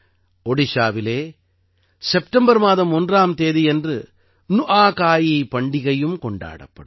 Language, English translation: Tamil, The festival of Nuakhai will also be celebrated in Odisha on the 1st of September